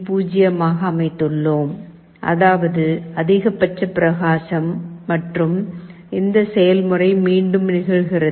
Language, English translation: Tamil, 0, which means maximum brightness and this process repeats